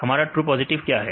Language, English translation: Hindi, How many true positives